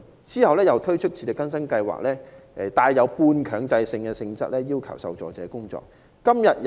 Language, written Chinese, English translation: Cantonese, 及後又推出自力更生支援計劃，帶半強制性質，要求受助者工作。, Later the Self - reliance Scheme was introduced to require recipients to work on a semi - mandatory basis